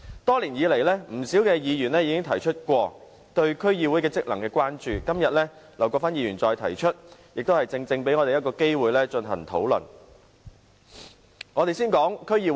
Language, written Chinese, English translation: Cantonese, 多年來，不少議員曾提出對區議會職能的關注，今天，劉國勳議員再次提出相關議案，正正給予我們討論的機會。, Over the years many Members have expressd concern about the role and functions of DCs and the motion of Mr LAU again provides an opportunity for us to have discussions today